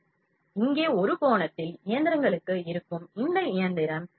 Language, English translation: Tamil, So, over an angle here will be for the machinery, for this machinery